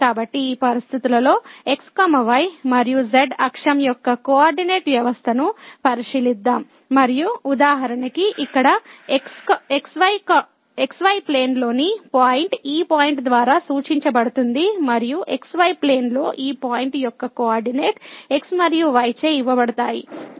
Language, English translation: Telugu, So, in this situation let us consider the coordinate system of and axis and for example, this is the point in the plane denoted by this point here and the coordinate of this point in the plane are given by and